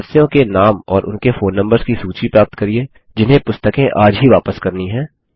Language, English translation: Hindi, Get a list of member names and their phone numbers, who need to return books today 4